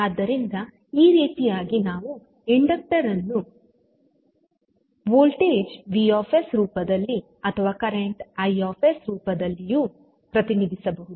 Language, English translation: Kannada, So, in this way we can represent the inductor either for in the form of voltage vs or in the form of current i s